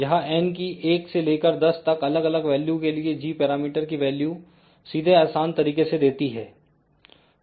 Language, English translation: Hindi, It gives you straightway the g parameters value for different values of n 1